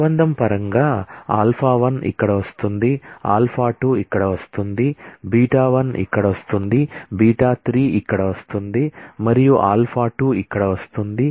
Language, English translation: Telugu, In terms of relation, alpha 1 is coming here, alpha 2 is coming here, beta 1 is coming here, beta 3 is coming here and alpha 2 is coming here